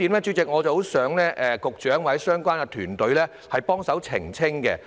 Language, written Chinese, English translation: Cantonese, 主席，我十分希望局長或相關團隊幫忙澄清另一個觀點。, Chairman I hope very much that the Secretary or the relevant team can help to clarify another point